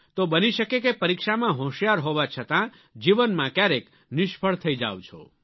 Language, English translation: Gujarati, Thus, you may find that despite becoming brilliant in passing the exams, you have sometimes failed in life